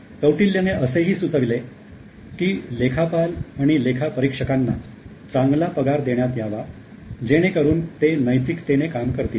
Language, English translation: Marathi, Kautilay suggested good salaries be paid to accountants as well as auditor as higher income would keep them ethical